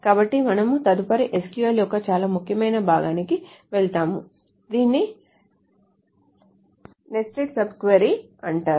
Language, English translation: Telugu, So we will next move on to a very important part of SQL which is called a nested subquiry